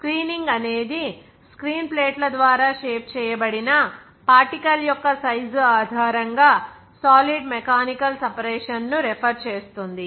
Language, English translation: Telugu, In that case, screening refers to the mechanical separation of solid based on the particle size of shape by screen plates